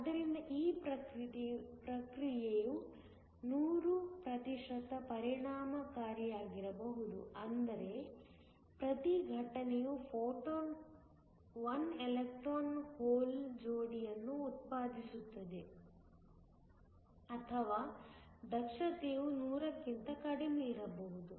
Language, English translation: Kannada, So, this process can be hundred percent efficient which means, every incident photon will generate 1 electron hole pair or the efficiency can be less than 100